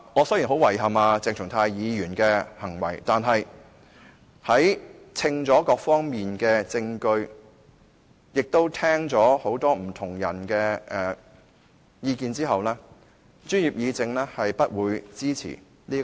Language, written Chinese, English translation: Cantonese, 雖然我對鄭松泰議員的行為感到很遺憾，但在權衡各方面的證據，以及聆聽過不同人士的意見後，專業議政是不會支持這項動議的。, Although I find Dr CHENG Chung - tais act regrettable after weighing evidence from all aspects and listening to the views of various people the Professionals Guild does not support this motion